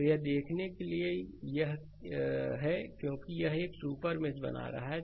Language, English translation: Hindi, So, how one can do is look before because it is a super mesh